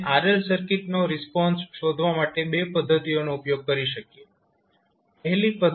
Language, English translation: Gujarati, We can use 2 methods to find the RL response of the circuit